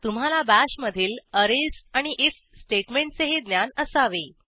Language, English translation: Marathi, You should also have knowledge of arrays and if statement in BASH